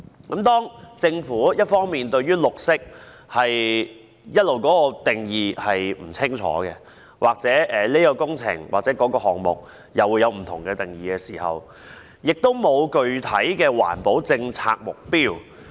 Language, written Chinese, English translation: Cantonese, 一方面，政府一直對"綠色"定義不清，對不同項目有不同準則，亦沒有制訂具體的環保政策目標。, On the one hand the Government has failed to clearly define green treating different projects by different standards and has also failed to formulate specific policy objectives for environmental protection